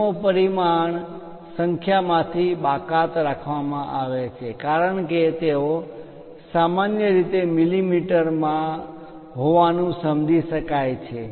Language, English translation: Gujarati, Units are omitted from the dimension numbers since they are normally understood to be in millimeters